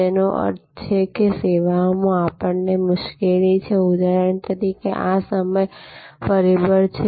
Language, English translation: Gujarati, Which means in services, we have difficulty for example, one is very interesting is this time factor